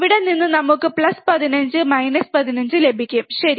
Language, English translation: Malayalam, From here we can get plus 15 minus 15, alright